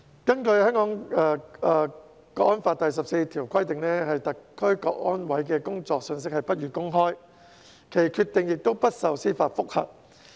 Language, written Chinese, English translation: Cantonese, 《香港國安法》第十四條規定，香港國安委的工作信息不予公開，其決定亦不受司法覆核。, Article 14 of the Hong Kong National Security Law provides that information relating to the work of CSNS shall not be subject to disclosure and that decisions made by CSNS shall not be amenable to judicial review